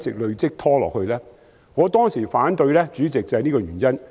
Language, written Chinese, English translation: Cantonese, 主席，我當時提出反對正是這個原因。, President this is precisely why I raised opposition back then